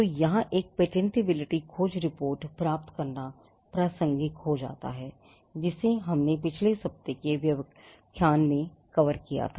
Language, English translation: Hindi, So, this is where getting a patentability search report something which we covered in last week’s lecture would become relevant